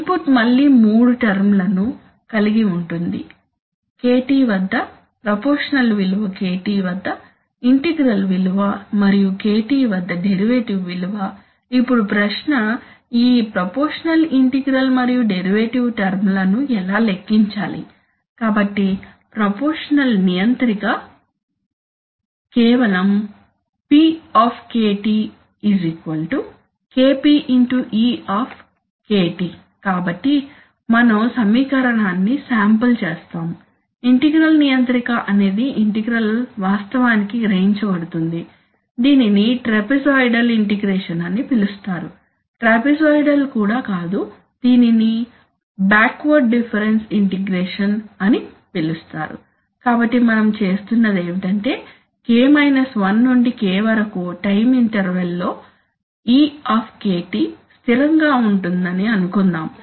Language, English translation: Telugu, The input is again consists of three terms there is a proportional value at kT the integral value at kT and the derivative value at kT, now the question is how do we compute this proportional integral and derivative terms, so the proportional controller is Simply P is equal to KP into e, so we just sample the equation, the integral controller is the integral is actually realized by a, what is known as a trapezoidal integration, right, not even, not even trapezoidal, this is, this is, you know, what is called backward difference integration, right, so what we are doing is that, we simply assume that since e is going to be constant over the time interval k 1 to k